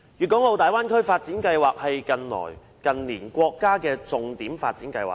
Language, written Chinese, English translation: Cantonese, 大灣區發展規劃是近年國家的重點發展計劃。, The Development Plan for the Bay Area is a key development plan of the country in recent years